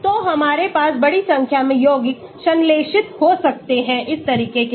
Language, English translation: Hindi, So, we can have a large number of compounds synthesized following this approach